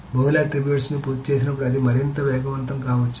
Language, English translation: Telugu, So when multiple attributes are done, it may not be any faster